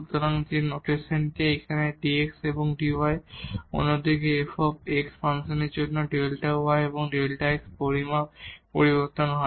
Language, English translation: Bengali, So, that is the notation here dx and dy; on the other hand the delta y and delta x measure changes for the function f x